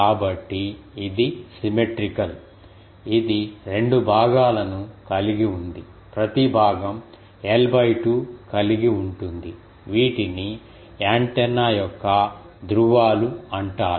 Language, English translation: Telugu, So, it is symmetrical it is have 2 such parts each part is having l by 2 these are called poles of the antenna